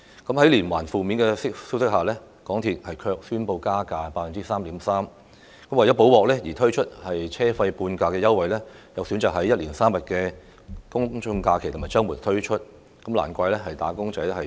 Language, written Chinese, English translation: Cantonese, 在接連傳出負面消息之際，港鐵公司卻宣布加價 3.3%； 為"補鑊"而提供車費半價優惠，卻選擇在一連3天的周末及公眾假期內推出，難怪"打工仔"怨氣滿腹。, While negative news has been exposed successively MTRCL announced a fare increase of 3.3 % and for the half - fare concession introduced to make amends MTRCL has chosen to offer it on three consecutive days including a weekend and a public holiday . No wonder the wage earners are full of grievances